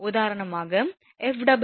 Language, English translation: Tamil, For example, F